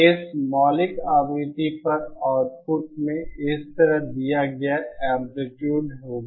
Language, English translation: Hindi, So now so the output at the fundamental frequency will have amplitude given like this